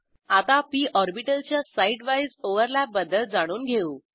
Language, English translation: Marathi, Now lets learn about side wise overlap of p orbitals